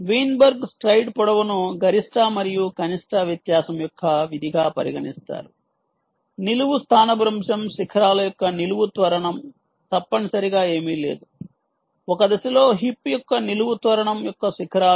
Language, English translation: Telugu, ok, weinberg considered the stride length as a function of the difference of maximum and minimum vertical acceleration, of the vertical displacement peaks, of essentially nothing but the peaks of vertical acceleration of the hip during one step